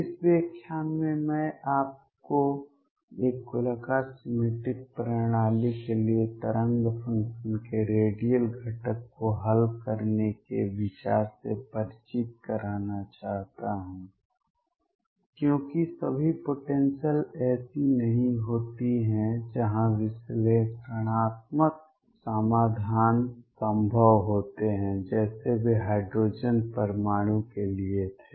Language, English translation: Hindi, In this lecture I want to introduce you to the idea of solving the radial component of the wave function for a spherically symmetric systems, because not all potentials are such where analytical solutions are possible like they were for the hydrogen atom